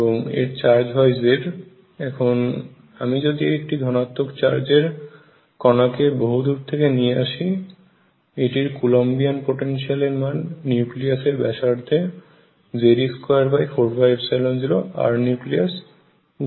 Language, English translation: Bengali, And is charge is z, if I bring a positive charge particle from far away it is a coulombic potential which at the nucleus radius becomes of the height Z e square over 4 pi epsilon 0 r nucleus